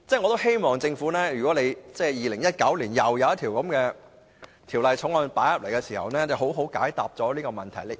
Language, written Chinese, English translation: Cantonese, 我希望政府2019年提交一項類似法案時，好好解答這個問題。, I hope that when submitting a similar bill in 2019 the Government will give us a proper reply to this question